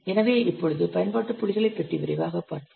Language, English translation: Tamil, So now let's see quickly about application points